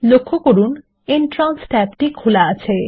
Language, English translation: Bengali, Notice that the Entrance tab is open